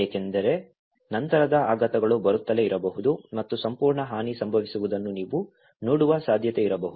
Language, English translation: Kannada, Because aftershocks might keep coming on and there might be a possibility that you can see that whole damage has been occurred